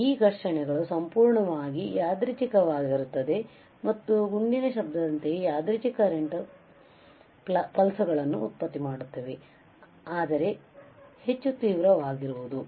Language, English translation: Kannada, These collisions are purely random and produce random current pulses similar to shot noise, but much more intense ok